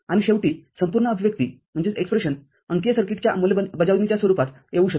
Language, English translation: Marathi, And finally, the whole expression can be arrived in the form of digital circuit implementation